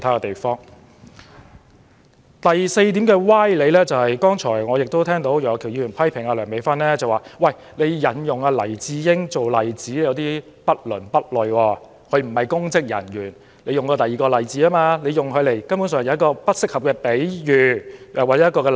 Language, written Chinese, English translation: Cantonese, 第四個歪理是楊岳橋議員批評梁美芬議員引用黎智英一案作為例子是不倫不類，因為黎先生並非公職人員，她應該引用其他例子，而非作出不適當的比喻。, The fourth fallacy lies in the criticism made by Mr Alvin YEUNG against Dr Priscilla LEUNG in connection with her citing the case of Jimmy LAI as an example . He does not consider this an appropriate example because Mr LAI is not a public servant and it is his opinion that Dr LEUNG should use other examples to illustrate her points instead of making an inappropriate analogy